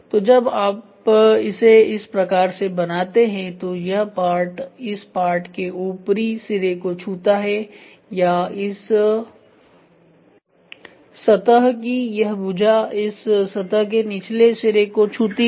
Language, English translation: Hindi, So, when you make it like this so this part touches the top of this part or this side of the face is touched at the bottom of this face